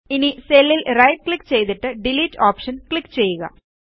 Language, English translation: Malayalam, Now right click on the cell and click on the Delete option